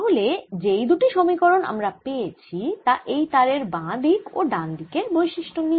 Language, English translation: Bengali, so the two equations that i have are this string from the left hand side, the string on the right hand side